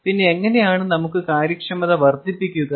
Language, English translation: Malayalam, and then how do we maximize the efficiency